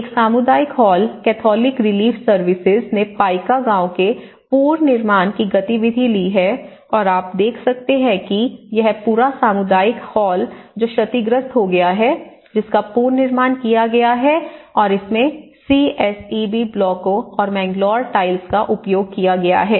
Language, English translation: Hindi, And the same community hall, the Catholic Relief Services has taken the reconstruction activity of the Paika village and here you can see that this whole community hall which has been damaged has been reconstructed and using the CSEB blocks and the Mangalore tiles